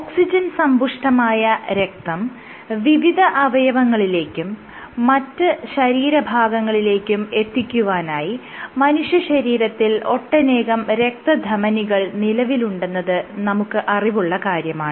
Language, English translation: Malayalam, So, all of you know that you have Arteries within our body and these are blood vessels that carry oxygen rich blood to our organs to other parts of the body